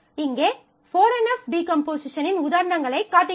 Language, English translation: Tamil, here I am just showing examples of 4 NF decomposition